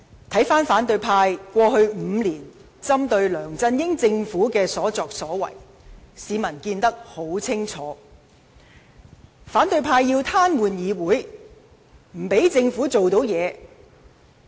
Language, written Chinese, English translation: Cantonese, 對於反對派過去5年針對梁振英政府的所作所為，市民看得一清二楚；反對派要癱瘓議會，不讓政府做任何事。, Members of the public can clearly see for themselves what the opposition camp has done over the past five years against LEUNG Chun - yings Government . The opposition camp wants to paralyse the legislature so that nothing can be done by the Government